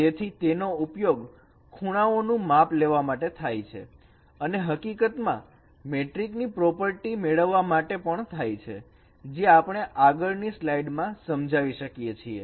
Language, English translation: Gujarati, So this could be used for as I told you that for measuring angle and in fact for recovering metric properties as we can explain in the next slide